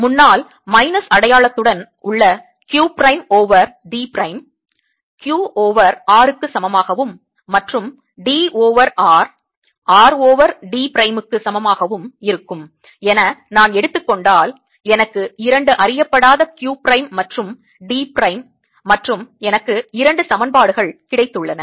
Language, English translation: Tamil, i can ensure that if i take q over r to be equal to q prime over d prime, with the minus sign in front, and d over r to be equal to r over d prime, i have got two unknowns, q prime and d prime, and i have got two equations